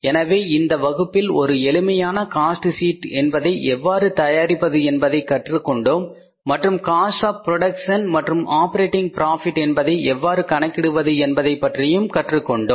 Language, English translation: Tamil, So, in this class we have learned about how to prepare a very simple cost sheet and how to arrive at the total cost of production and the operating profit